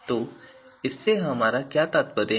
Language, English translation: Hindi, So, what do we mean by this